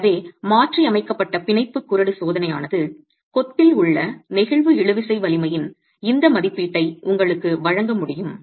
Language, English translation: Tamil, So a modified bond range test can also give you this estimate of the flexual tensile strength in masonry